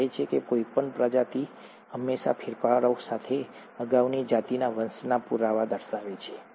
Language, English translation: Gujarati, It says, any species always shows an evidence of descent from a previous a species with modifications